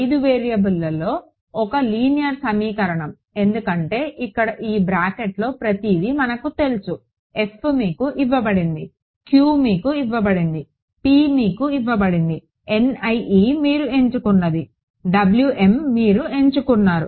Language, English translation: Telugu, One linear equation in 5 variables because over here is everything inside this bracket known f is given to you, q is given to you p is given to you n 1 I mean N i e you chose W m you chose